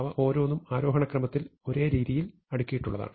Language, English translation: Malayalam, Each of them is arranged in the same way in ascending order